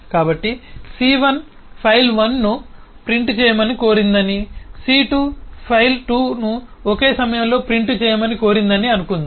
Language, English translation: Telugu, so let us assume that c has requested to print file 1 and c2 has requested to print file 2 at the same time